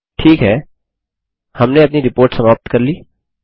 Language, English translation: Hindi, Okay, we are done with our Report